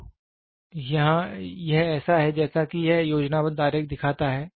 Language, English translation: Hindi, So, this is how it this schematic diagram looks like